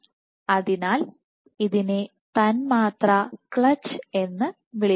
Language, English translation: Malayalam, So, this is called a molecular clutch